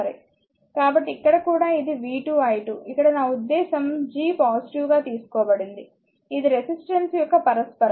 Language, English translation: Telugu, So, the here also it is v square i square, here I mean G is taken positive it is reciprocal of resistance